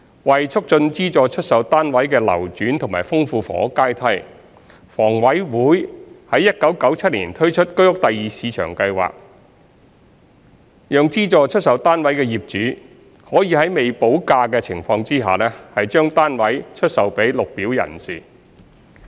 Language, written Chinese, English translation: Cantonese, 為促進資助出售單位的流轉和豐富房屋階梯，房委會於1997年推出居屋第二市場計劃，讓資助出售單位的業主可以在未補價的情況下，將單位出售予綠表人士。, To facilitate the circulation of subsidized sale flats SSFs and enrich the housing ladder HA introduced the HOS Secondary Market Scheme in 1997 which enables SSF owners to sell their flats to Green Formers with premium unpaid